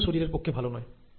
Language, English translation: Bengali, Now this is again not good for the body